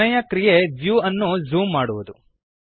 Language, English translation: Kannada, Last action is Zooming the view